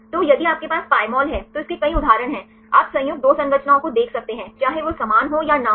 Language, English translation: Hindi, So, then if you have the Pymol, it has several applications for example, you can see the combined 2 structures, whether they are similar or not